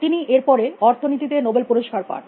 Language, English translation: Bengali, He went on get a Nobel Prize in economics